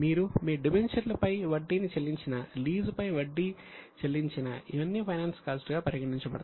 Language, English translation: Telugu, If you pay interest on your debentures, interest on lease, all these will be considered and included in finance costs